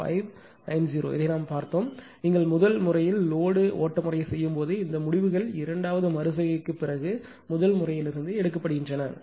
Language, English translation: Tamil, 96590; this we have seen it, when you are doing the load flow method of the first method right only from this results are taking from the first method after second iteration